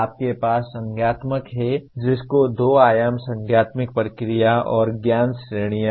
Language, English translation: Hindi, You have cognitive which has two dimensions namely cognitive process and knowledge categories